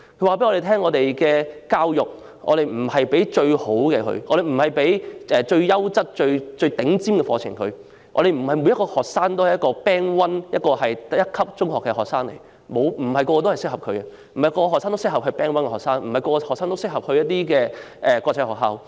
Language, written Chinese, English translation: Cantonese, 他們指出，教育不是要向學生提供最優質或最頂尖的課程，因為不是每個學生都是第一組別中學的學生、不是每個學生都適合做 Band One 中學的學生，也不是每個學生都適合入讀國際學校。, The principals made the point that education does not seek to provide the best programmes of the highest quality . The reasons are that not every student is a student of a Band One secondary school not every student is suitable to study in a Band One secondary school and not every student is suitable to study in an international school